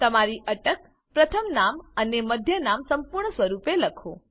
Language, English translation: Gujarati, Write your surname, first name and middle name, in full form